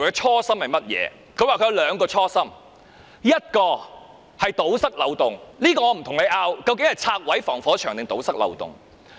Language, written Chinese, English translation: Cantonese, 她說，她有兩個初心，一個是堵塞法律漏洞，這個我不跟你爭辯那究竟是拆毀防火牆還是堵塞漏洞。, She said she had two original intents one of which was to plug the legal loophole . I will not argue whether she intended to tear down the firewall or plug the loophole